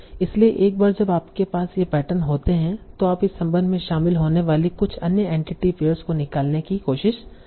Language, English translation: Hindi, So once you have these patterns, you try to extract some other entity pairs that are involved in this relation